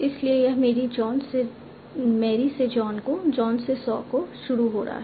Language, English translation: Hindi, So starting from Mary to John and John to Saw